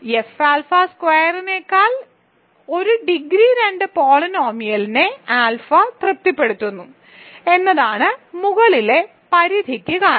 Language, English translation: Malayalam, The reason for the upper bound is that alpha satisfies a degree 2 polynomial over F alpha square